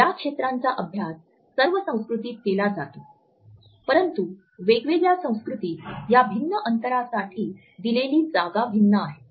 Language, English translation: Marathi, These zones are practiced in all cultures, but the space which is attributed to these different distances in different cultures is different